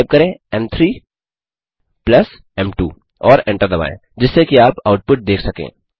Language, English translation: Hindi, Type m3+m2 and hit enter so you can see the output